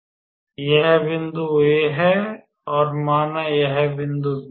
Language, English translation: Hindi, So, that is the point A let us say this is point B